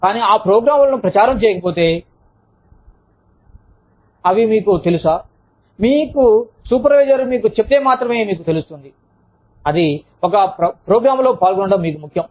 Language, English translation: Telugu, But, unless those programs are advertised, unless, they are, you know, unless, your supervisor tells you, that is important for you, to participate in a program